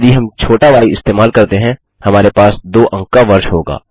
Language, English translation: Hindi, If we use a small y, it would be a 2 digit year